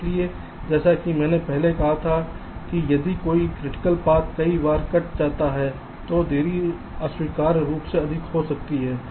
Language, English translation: Hindi, ok, so, as i said earlier, if a critical path gets cut many times, the delay can be an unacceptably high